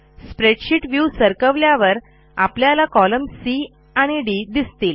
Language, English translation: Marathi, Then move the spreadsheet view so you can see column C and D